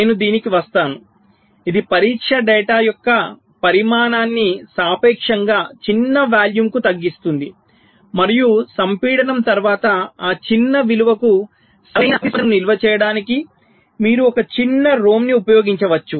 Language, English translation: Telugu, that will you reduce the volume of the test data to a relatively small volume and you can use a small rom to store the correct response for that small value after compaction